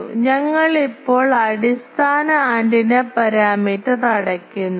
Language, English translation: Malayalam, So, with that we now close the basic antenna parameter